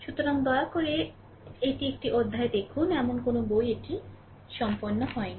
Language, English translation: Bengali, So, please see it in a chapter, there is no such book it is completed, right